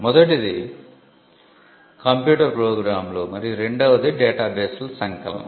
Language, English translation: Telugu, The first one is computer programs and the second one is data bases compilation of database